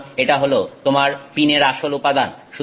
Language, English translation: Bengali, So, this is your original pin material